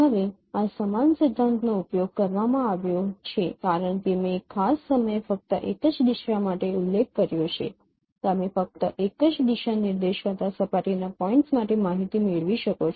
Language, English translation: Gujarati, Now the same principle is used because as I mentioned only for one directions at a particular time you can get information only for one surface point given a direction